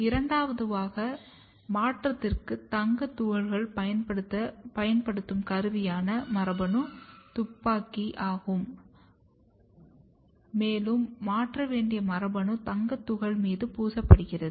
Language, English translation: Tamil, The second one is, where the gene gun like instrument is used for the transformation where the gold particles are used and the gene that we have to transform is coated on the gold particle